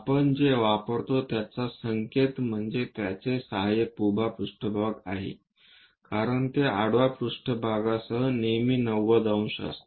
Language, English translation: Marathi, The notation what we use is its auxiliary vertical plane because it is always be 90 degrees with the horizontal plane